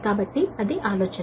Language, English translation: Telugu, so that is, that is the idea